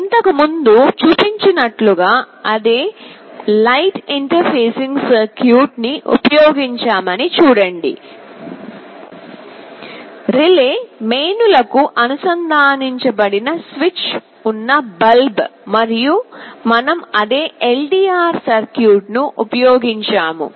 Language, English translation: Telugu, Now see we have used that same light interfacing circuitry as was shown earlier; a relay, a bulb with a switch connected to mains, and we have used the same LDR circuit